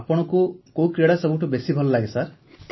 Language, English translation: Odia, Which sport do you like best sir